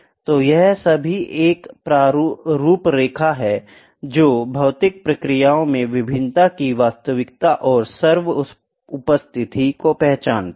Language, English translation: Hindi, So, this is all a framework which recognizes the reality and omni presence of variation in physical processes